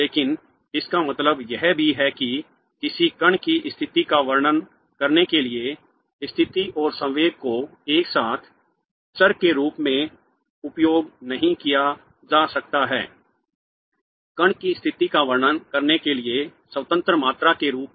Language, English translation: Hindi, What it also means is that position and momentum cannot be simultaneously used as variables for describing the state of a particle as independent quantities for describing the state of the particle